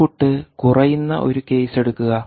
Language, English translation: Malayalam, you take a case where input reduces